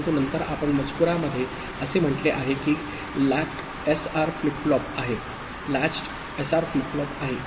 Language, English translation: Marathi, But then you will see that in the text it is says latched SR flip flop